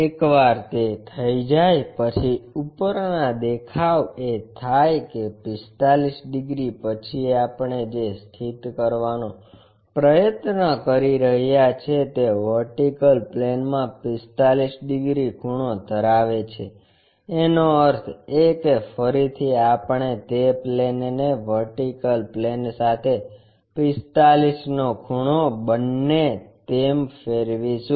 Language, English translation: Gujarati, Once it is done, the top view means after that 45 degrees whatever we are trying to locate that is going to make 45 degrees inclined to vertical plane so; that means, again we will rotate that plane into making 45 angle with the vertical plane